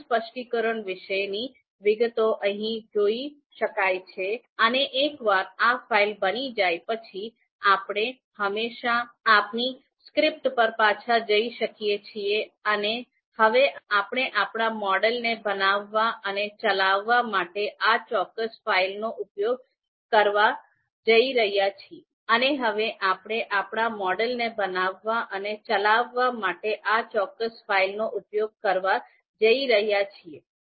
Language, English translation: Gujarati, So, all the details about the model specification, you can see here and once this file is created, we can always go back to our script and now we are going to use this particular file in building and executing our model